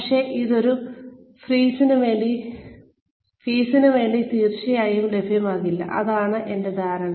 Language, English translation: Malayalam, But, it will certainly not be available, for a fee, that is my understanding